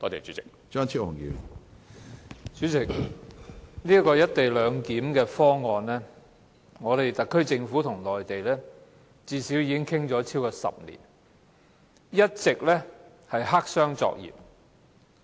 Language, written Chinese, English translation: Cantonese, 主席，關於"一地兩檢"方案，特區政府與內地已討論了最少超過10年，但一直黑箱作業。, President the SAR Government kept discussing the issue of co - location clearance with the Mainland for more than 10 years at least